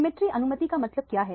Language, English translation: Hindi, What is meant by symmetry allowed